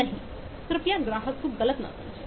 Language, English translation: Hindi, no, please do not misunderstand the customer